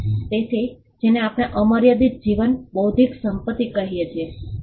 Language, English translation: Gujarati, So, this is what we call an unlimited life intellectual property